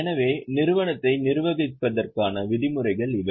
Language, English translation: Tamil, So, these are the norms for managing the company